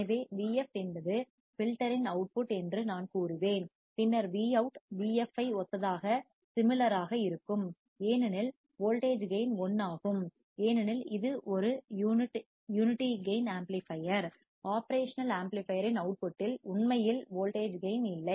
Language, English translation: Tamil, So, I will say vf is output of filter then when we see Vout would be similar to vf because the voltage gain is 1, as it is a unity gain amplifier; there is no actually voltage gain in the output of the operation amplifier